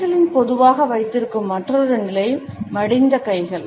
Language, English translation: Tamil, Another commonly held position of hands is that of folded hands